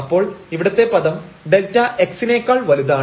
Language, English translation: Malayalam, So, this term here because this is bigger than delta x